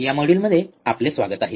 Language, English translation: Marathi, Alright, welcome to this module